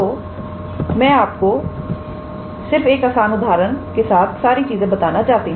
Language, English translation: Hindi, So, I just wanted to show you with a simple example